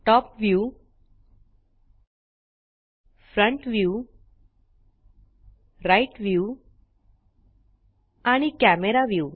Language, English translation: Marathi, Top view, Front view, Right view and Camera view